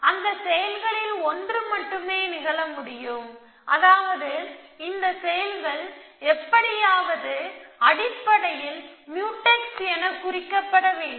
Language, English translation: Tamil, That only one of those actions can happen which means that these actions must be mark as Mutex somehow essentially